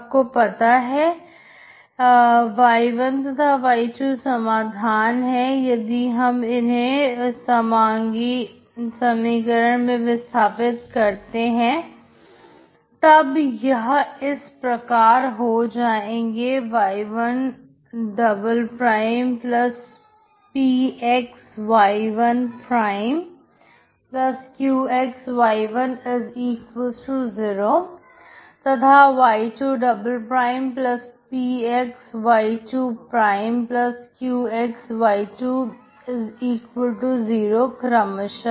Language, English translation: Hindi, You know that y1, and y2 are the solution so you substitute these into the homogeneous equation so that it becomes y1' '+p y1'+q y1=0, andy2' '+p y2'+q y2=0 respectively